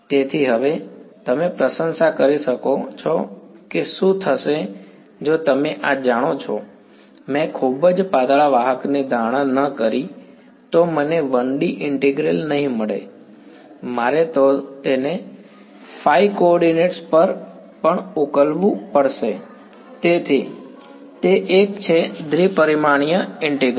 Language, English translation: Gujarati, So now, you can appreciate what would happen if this you know, I did not make the assumption of very thin conductor, then I would not get a 1D integral, I would have to solve it over the phi coordinate also, so it is a two dimension integral